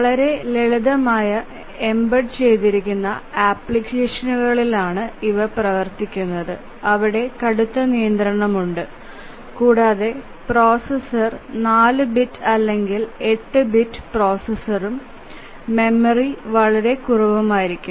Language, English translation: Malayalam, These are run on very simple embedded applications where there is a severe constraint on the processor capabilities, maybe a 4 bit or 8 bit processor and the memory is very, very less